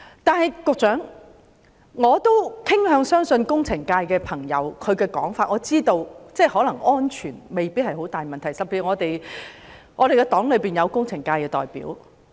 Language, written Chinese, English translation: Cantonese, 但是，我傾向相信工程界朋友的說法，我知道安全未必會受到嚴重影響，尤其是我的黨友是工程界的代表。, I tend to trust the opinions of friends in the engineering sector that safety may not be seriously affected especially since one of my party comrades represents the engineering sector